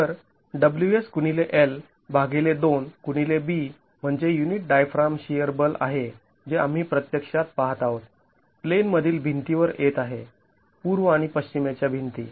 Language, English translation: Marathi, So, WS into L divided by 2 into B is what the unit diaphragm shear force that we are really looking at coming on to the in plain walls, east and the west walls